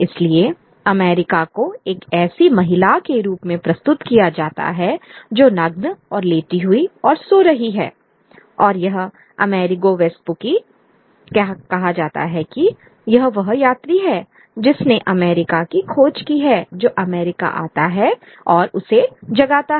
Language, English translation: Hindi, So, America is presented as a woman who is naked and lying and sleeping and it is America, it is America the traveler who is said to have discovered America who comes and wakes America up